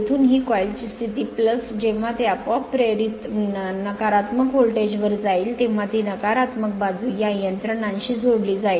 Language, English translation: Marathi, The here this coil position from plus when it will go to the negative voltage induced automatically it will be connected to the negative side by this mechanism